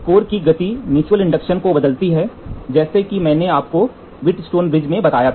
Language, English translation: Hindi, The motion of the core varies the mutual inductance, as I told you in Wheatstone bridge